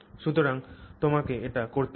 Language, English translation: Bengali, So, that you have to do